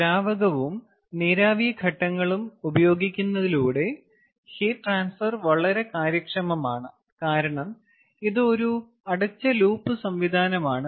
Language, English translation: Malayalam, by utilizing liquid and vapor phases, the heat transport is extremely efficient because its a closed loop system